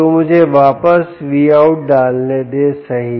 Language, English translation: Hindi, so let me put back v out, right